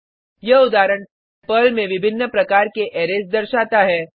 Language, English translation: Hindi, This example shows the various types of arrays in Perl